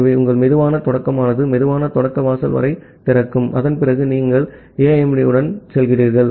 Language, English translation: Tamil, So, your slow start is up to the slow start threshold and after that, you are going with AIMD